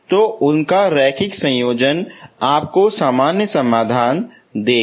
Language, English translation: Hindi, So their linear combination will give you the general solution